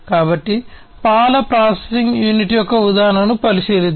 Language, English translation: Telugu, So, let us consider the example of the milk processing unit, milk packaging unit